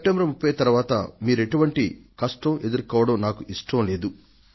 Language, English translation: Telugu, And I do not want that you should face any problems after 30th September